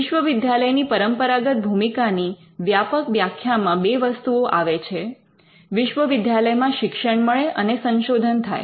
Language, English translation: Gujarati, The traditional function of a university can be broadly captured under two things that they do, universities teach, and they do research